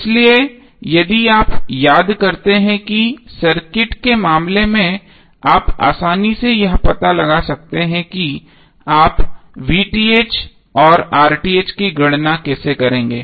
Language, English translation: Hindi, So if you recollect what we discussed in case of equaling circuit, you can easily figure out that how you will calculate VTh and RTh